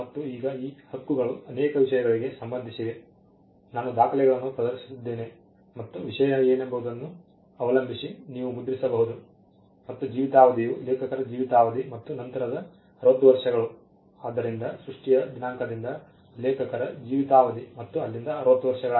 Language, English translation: Kannada, And now these rights pertain to multiple things, you can print as I said published perform record and depending on what the subject matter is and the duration of life is life of the author and plus 60 years so, from the date of creation till the author dies and 60 years from there on